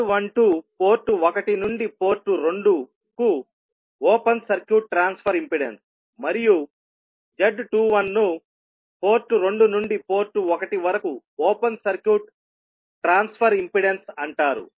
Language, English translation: Telugu, Z12 is open circuit transfer impedance from port 1 to port 2 and Z21 is called open circuit transfer impedance from port 2 to port 1